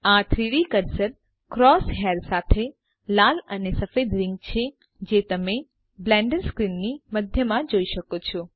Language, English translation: Gujarati, The 3D Cursor is the red and white ring with the cross hair that you see at the centre of the Blender screen